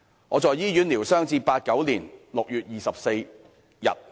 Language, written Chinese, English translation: Cantonese, 我在醫院療傷至1989年6月24日。, I recuperated at the hospital until 24 June 1989